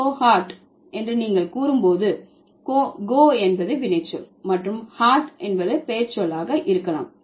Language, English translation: Tamil, So, go kart when you say, go is the verb and cart could be the noun